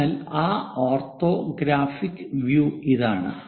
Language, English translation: Malayalam, So, here in that orthographic view